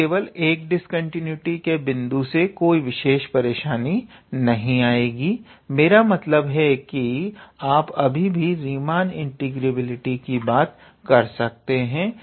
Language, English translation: Hindi, Now, having just one point of discontinuity that would not create any kind of problem, I mean you can still talk about the Riemann integrability